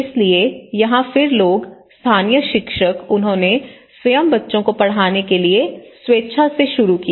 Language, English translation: Hindi, So, here then people, the local teachers or the local educated graduates, they started volunteering themselves to teach to the children